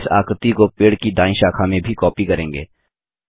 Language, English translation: Hindi, We shall copy this shape to the right branch of the tree, also